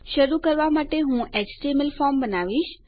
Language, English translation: Gujarati, To start with Ill create an html form